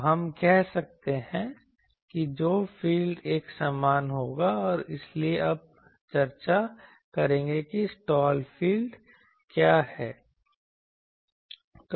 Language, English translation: Hindi, So, we can say that the field that will be uniform and so that will now discuss that what is the slot field